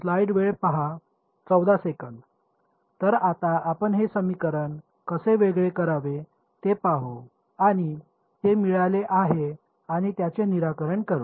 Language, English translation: Marathi, So, now we will look at how to discretize this equation, now that we have got it and solve it ok